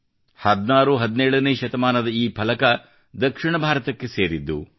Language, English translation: Kannada, This panel of 16th17th century is associated with South India